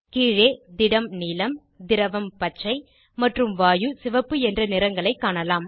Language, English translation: Tamil, Below you can see colors of Solid Blue, Liquid Green and Gas Red